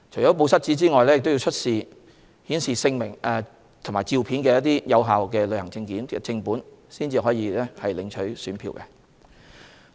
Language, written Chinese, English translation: Cantonese, 除"報失紙"外，選民亦要出示顯示姓名及相片的有效旅遊證件正本，方可領取選票。, In addition to the memo an elector must also produce the original of hisher valid travel document showing hisher name and photography to collect the ballot paper